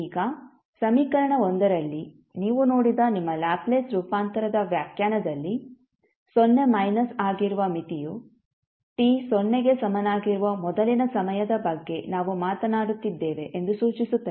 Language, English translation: Kannada, Now, in equation 1, which you just saw that is the definition of your Laplace transform the limit which is 0 minus indicates that we are talking about the time just before t equals to 0